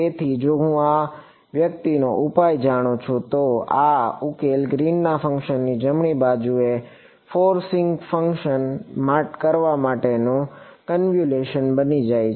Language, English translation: Gujarati, So, if I know the solution to this guy this I this solution becomes a convolution of the forcing function the right hand side with the Green’s function right